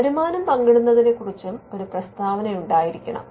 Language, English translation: Malayalam, There has to be a statement on revenue sharing